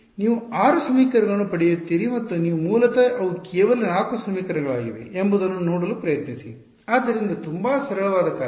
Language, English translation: Kannada, You will get 6 equations and try to see how you actually they are basically only 4 equations, so very simple exercise